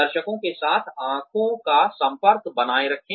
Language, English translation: Hindi, Maintain eye contact with the audience